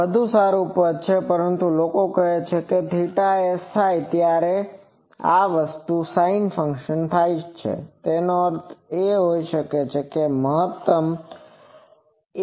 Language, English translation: Gujarati, This is much better expression, but approximately people say that theta s happens when numerator of sinc function is maximum